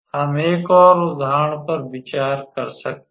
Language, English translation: Hindi, We can consider an another example